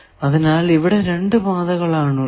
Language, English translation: Malayalam, So, there are two paths